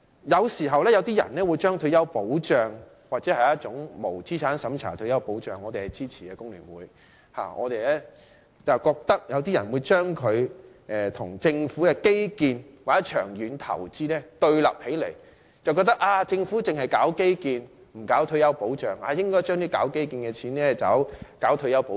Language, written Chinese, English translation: Cantonese, 有些人將退休保障，或者無資產審查的退休保障——工聯會對此是支持的——跟政府的基建或長遠投資對立起來，覺得政府只做基建，不做退休保障，應該把做基建的款項用來做退休保障。, Some people put retirement protection or non - means - tested retirement protection―which is supported by the Hong Kong Federation of Trade Unions―and the Governments infrastructural projects or long - term investments in a confrontation holding that the Government only works on infrastructure but not retirement protection . It should spend the money set aside for infrastructure on retirement protection instead